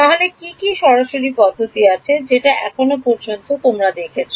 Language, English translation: Bengali, So, what are direct methods things which you have already seen so far